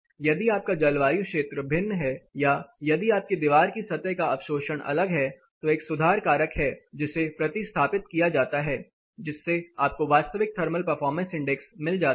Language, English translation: Hindi, Say if you are climate zone is different or if your wall surface absorptive is different then there is a correction factor which is given substituting that you will get that actual thermal performance index